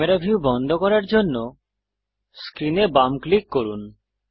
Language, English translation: Bengali, Left click on the screen to lock the camera view